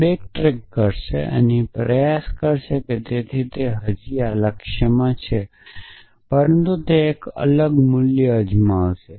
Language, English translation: Gujarati, So, it will back track and try e here so it is still be in this goal, but it would try a different value